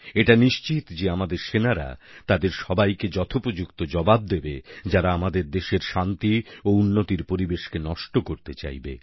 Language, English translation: Bengali, It has now been decided that our soldiers will give a befitting reply to whosoever makes an attempt to destroy the atmosphere of peace and progress in our Nation